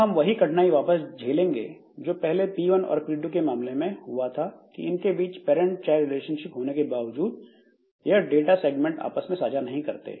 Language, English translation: Hindi, Now, the difficulty that we have seen previously between P1 and P2, even if they are, so even if there is a parent child relationship between P1 and P2, say they do not share the data segment between them